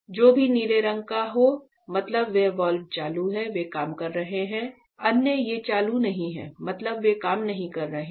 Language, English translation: Hindi, So, whichever is blue in color; that means, those valves are on they are working right; others these are not on; that means, they are not working it